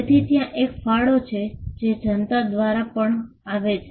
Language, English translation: Gujarati, So, there is a contribution that comes from the public as well